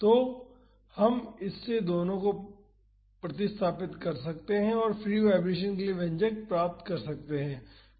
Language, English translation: Hindi, So, we can substitute these two in this and get the expression for the free vibration